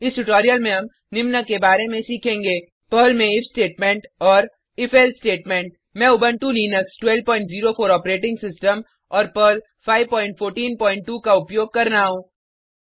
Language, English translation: Hindi, In this tutorial, we will learn about if statement and if else statement in Perl I am using Ubuntu Linux12.04 operating system and Perl 5.14.2 I will also be using the gedit Text Editor